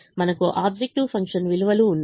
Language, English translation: Telugu, you have the objective function values